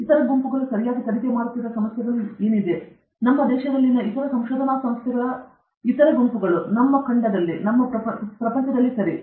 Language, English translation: Kannada, What are the kinds of problem being investigated by other groups okay, other groups in other research institutes in our country, in our continent, in the world okay